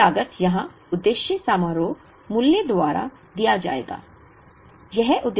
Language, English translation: Hindi, Total cost would be given by the objective function value here